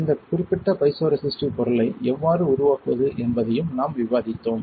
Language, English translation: Tamil, And we also discussed this thing how can you create this particular piezoresistive material